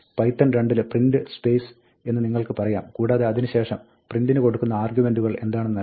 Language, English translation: Malayalam, In python 2, you can say print space and then, give the, what is given as the arguments to print in python 3